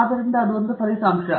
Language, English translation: Kannada, So, that’s a result